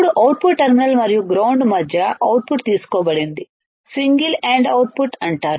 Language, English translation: Telugu, Now, the output is taken between the output terminal and ground is called single ended output